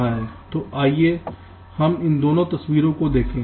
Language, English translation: Hindi, ok, fine, so lets look at these two pictures